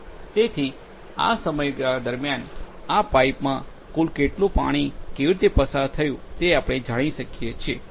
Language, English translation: Gujarati, So, over a period of time how total water has passed through this pipe will be known to us